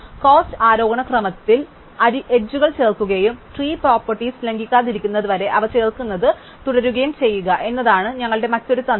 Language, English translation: Malayalam, The other strategy we can have is to look at edges in ascending order of cost and keep adding them, so long as we do not violate the tree property